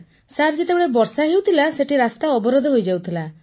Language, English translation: Odia, Sir, when it used to rain there, the road used to get blocked